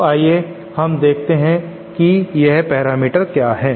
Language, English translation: Hindi, So let us so let us see what these parameters are